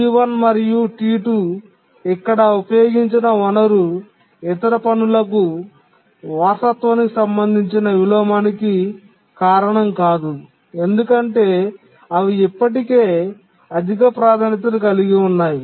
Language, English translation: Telugu, So, the resource uses here by T1 and T2, they don't cause any inheritance related inversions to the other tasks because these are already high priority